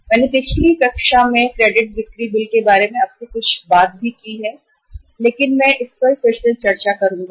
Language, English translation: Hindi, I have talked to you something about the credit sale bills in the previous class also but I will discuss it again